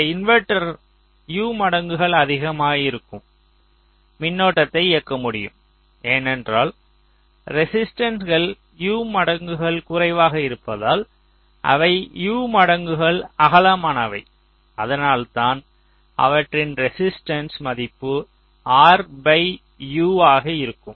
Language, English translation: Tamil, so we have made both these inverters u times larger so that this inverter can drive current which is u times more, because the resistances are u times less